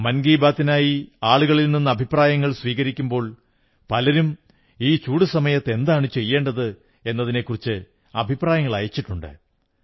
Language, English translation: Malayalam, So, when I was taking suggestions for 'Mann Ki Baat', most of the suggestions offered related to what should be done to beat the heat during summer time